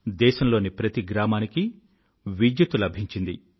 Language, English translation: Telugu, Electricity reached each & every village of the country this year